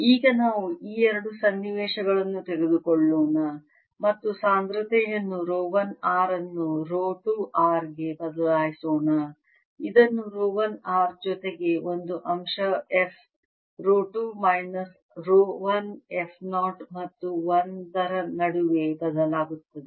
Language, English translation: Kannada, now let's take these two situations and change density rho one r to rho two r by writing this as rho one r plus a factor f rho two minus rho one